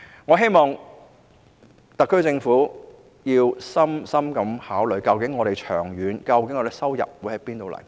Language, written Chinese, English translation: Cantonese, 我希望特區政府會深切考慮，長遠而言我們的收入會從何而來。, I hope that the SAR Government will carefully consider where we can obtain income in the long run